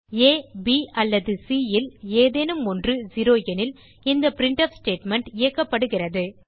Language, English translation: Tamil, This printf statement is executed if either of a, b or c is 0